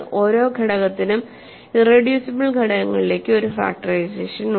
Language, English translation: Malayalam, Obviously, then every element has a irreducible factorization